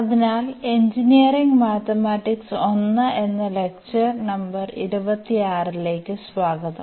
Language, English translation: Malayalam, So, welcome back to the lectures on Engineering Mathematics – I, and this is lecture number 26